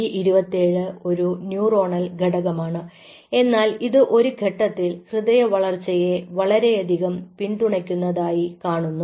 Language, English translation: Malayalam, an b twenty seven is a neuronal factor, but we showed at one point that this supports cardiac growth